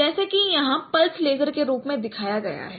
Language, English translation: Hindi, So this light source as I as it is shown here pulse lasers